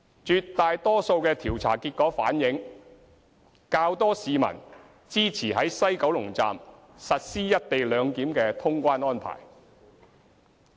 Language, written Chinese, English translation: Cantonese, 絕大多數調查結果反映較多市民支持於西九龍站實施"一地兩檢"的通關安排。, The vast majority of the surveys found that there were more people in favour of implementing the co - location arrangement at the West Kowloon Station